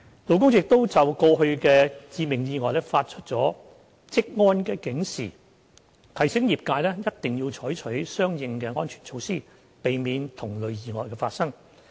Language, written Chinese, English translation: Cantonese, 勞工處亦就過去的致命意外發出了"職安警示"，提醒業界一定要採取相應的安全措施，以避免同類意外發生。, LD has also issued Work Safety Alerts to alert the industry to the occurrence of fatal accidents and to remind them to take corresponding safety measures to prevent recurrence of such accidents